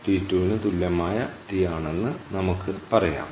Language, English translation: Malayalam, let us say this is t equal to t two, clear